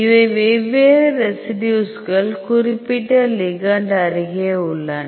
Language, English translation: Tamil, So, these are the different residues, which is in the vicinity of the particular ligand